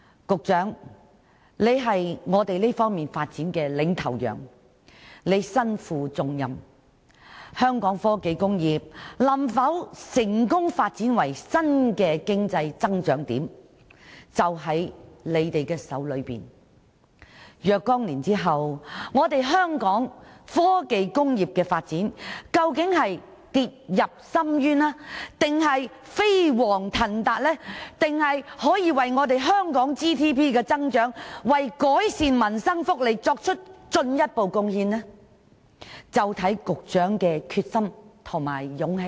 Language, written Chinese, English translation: Cantonese, 局長是我們在這方面發展的領頭羊，他身負重任，香港科技工業能否發展為新的經濟增長點，關鍵握在他手中，若干年後，究竟香港的科技工業發展會跌入深淵還是飛黃騰達，可否為香港 GDP 增長及改善民生福利作出進一步貢獻，就視乎局長的決心和勇氣。, The Secretary being a bellwether for development in this regard has to shoulder heavy responsibilities . He has a key role to play as regards whether the Hong Kong technology industry can develop into a new area of economic growth . His determination and courage will be the determining factor as regards whether the development of our technology industry will fall into an abyss or have a vibrant boom or whether it will make further contribution to the growth of our GDP and the improvement of peoples livelihood and welfare some years later